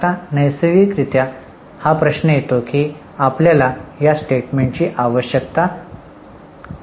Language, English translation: Marathi, Now, naturally the question comes is why do you need this statement